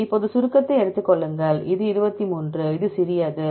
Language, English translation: Tamil, Now take the summation, this is 23, this is B, which is small